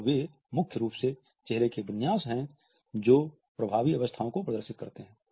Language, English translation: Hindi, And they are primarily facial configurations which display effective states